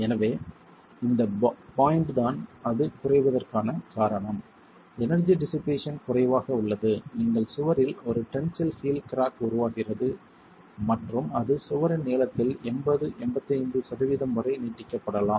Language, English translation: Tamil, So, the point is and the reason why it is low, energy dissipation is low, is that you get a tensile heel crack formed in the wall and probably that might extend to about 80, 85 percent of the length of the wall